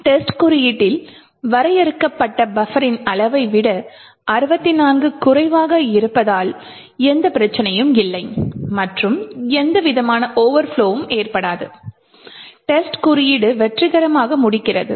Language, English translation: Tamil, Since 64 is less than the size of the buffer defined in test code so there is no problem and there is no overflow that occurs, and test code completes successfully